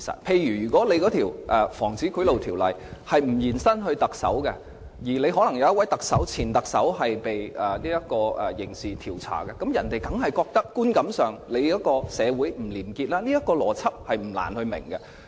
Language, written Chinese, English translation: Cantonese, 例如，如果《防止賄賂條例》的適用範圍不延伸至特首，而可能又有一位前特首接受刑事調查的話，別人在觀感上當然會認為社會不廉潔，這個邏輯不難明白。, For example if the scope of application of the Prevention of Bribery Ordinance is not extended to cover the Chief Executive and one more Chief Executive is involved in criminal investigation people will certainly have the perception that ours is not a corruption - free society . The logic is not difficult to understand